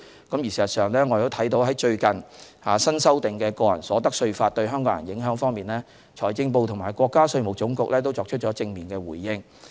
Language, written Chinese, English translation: Cantonese, 事實上，就最近新修訂《中華人民共和國個人所得稅法》對港人的影響，財政部和國家稅務總局已作出正面回應。, In fact as regards the impact of the latest amendment to the Individual Income Tax Law on the Hong Kong people the Ministry of Finance and the State Administration of Taxation have already given a positive response